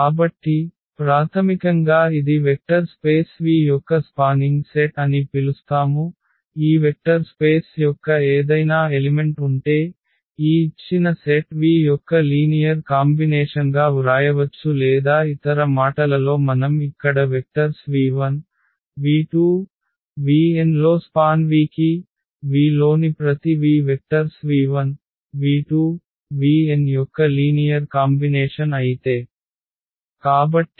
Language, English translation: Telugu, So, basically we call that this is a spanning set of a vector space V if any element of this vector space, we can write down as a linear combination of this given set V or in other words which we have written here the vectors v 1, v 2, v n in V are said to a span V if every v in V is a linear combination of the vectors v 1, v 2, v 3 v n